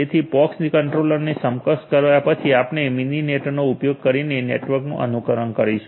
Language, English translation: Gujarati, So, after enabling the pox controller will enable will emulate the network using Mininet